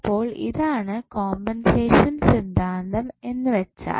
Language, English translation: Malayalam, So, this is what compensation theorem says